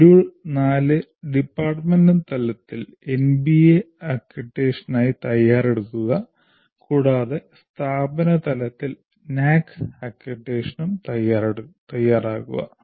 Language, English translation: Malayalam, Module 4, prepare for NBA accreditation at the department level and also prepare for NAC accreditation at the institution level